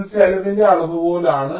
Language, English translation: Malayalam, it it's a measure of the cost